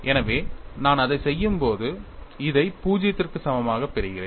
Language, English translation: Tamil, So, when I do that, I get this equal to 0